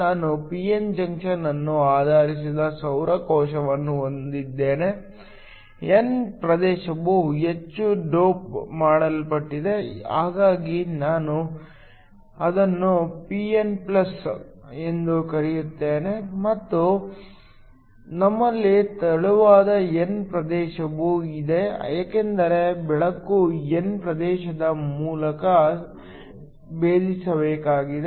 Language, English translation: Kannada, I have a solar cell that is based on p n junction, the n region is heavily doped so I will call it pn+ and we also have a thin n region because the light has to penetrate through the n region